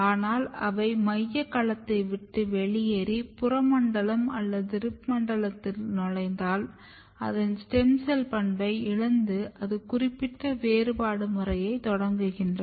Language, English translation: Tamil, But once they leave the central domain and enters in the peripheral region or enters in the rib zone, they basically loses its stem cell property and then initiate differentiation specific program